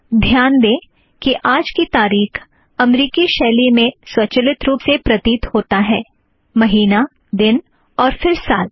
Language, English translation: Hindi, Note that todays date appears automatically in American style: month, date and then year